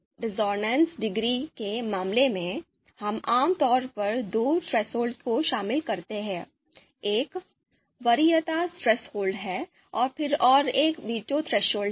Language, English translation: Hindi, So in the case of discordance degree, we typically involve two thresholds, one is the preference threshold, then another one being the veto threshold